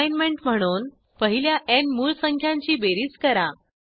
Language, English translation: Marathi, As an assignment Find the sum of the first n prime numbers